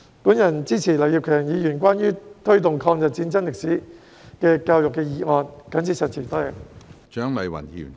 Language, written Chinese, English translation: Cantonese, 我支持劉業強議員的"推動抗日戰爭歷史的教育"議案，我謹此陳辭。, I support Mr Kenneth LAUs motion on Promoting education on the history of War of Resistance against Japanese Aggression . I so submit